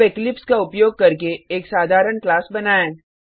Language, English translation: Hindi, Now let us create a simple class using Eclipse